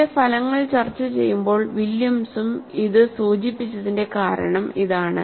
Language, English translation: Malayalam, So, this is the reason Williams also attributed while discussing his results